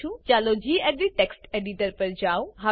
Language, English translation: Gujarati, I am using gedit text editor